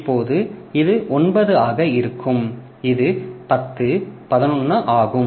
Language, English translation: Tamil, So, now this will be 9